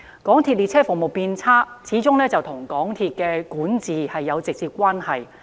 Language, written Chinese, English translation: Cantonese, 港鐵列車服務變差，始終與港鐵公司的管治有直接關係。, The deterioration of the MTRCL railway services is directly related to its corporate governance